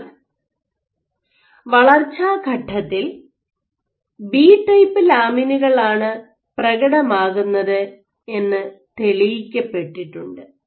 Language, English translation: Malayalam, So, it has been demonstrated that lamins, B type lamins, are expressed during development